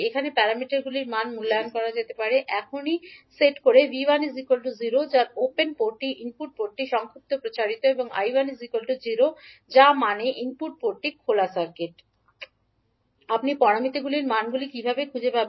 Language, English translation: Bengali, Here the value of parameters can be evaluated by now setting V 1 is equal to 0 that means input port is short circuited and I 1 is equal to 0 that means input port is open circuited